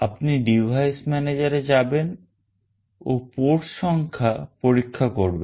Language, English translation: Bengali, Go to device manager and check the port number